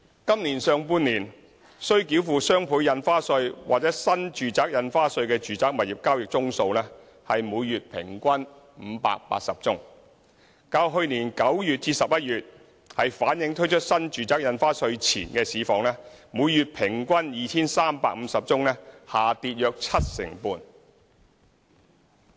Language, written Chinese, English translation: Cantonese, 今年上半年，須繳付雙倍印花稅或新住宅印花稅的住宅物業交易宗數為每月平均580宗，較去年9月至11月推出新住宅印花稅前的每月平均 2,350 宗下跌約七成半。, In the first half of this year the monthly average of residential property transactions subject to DSD or NRSD is 580 representing a drop of about 75 % as compared with the monthly average of 2 350 from September to November last year